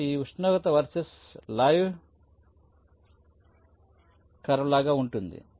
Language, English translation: Telugu, so it will be something like this: temperature verses time curve